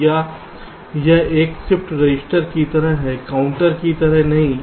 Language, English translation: Hindi, or this is like a shift resistance, not a counter